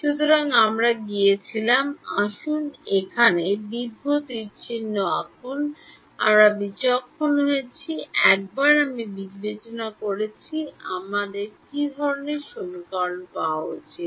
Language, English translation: Bengali, So, we went, let's draw long arrow here, we discretized, once I discretized what kind of equations should I get